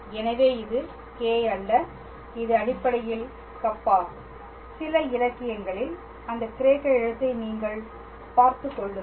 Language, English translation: Tamil, So, this is not K this is basically Kappa make sure you see that Greek letter in some literature